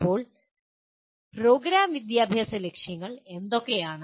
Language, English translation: Malayalam, Now, what are Program Educational Objectives